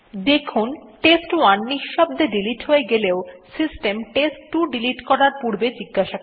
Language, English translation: Bengali, So we saw that while test1 was silently deleted, system asked before deleting test2